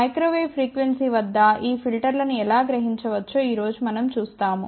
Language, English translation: Telugu, But today we will see how these filters can be realized at microwave frequencies